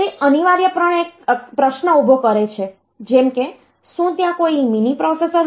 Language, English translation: Gujarati, It essentially raises a question like was there any mini processor somewhere